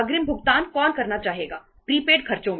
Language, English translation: Hindi, Who would like to make the payment in advance, prepaid expenses